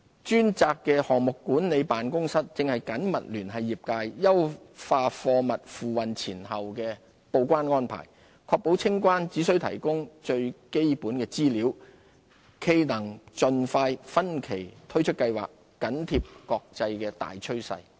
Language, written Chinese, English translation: Cantonese, 專責的項目管理辦公室正緊密聯繫業界，優化貨物付運前後的報關安排，確保清關只須提供最基本資料，冀能盡快分期推出計劃，緊貼國際大趨勢。, The dedicated Project Management Office is maintaining close liaison with the industry to enhance the pre - shipment and post - shipment declaration arrangements to ensure that only the most essential information will be required for customs clearance . We aim to roll out the initiative by phases as soon as practicable to keep Hong Kong in line with the international trend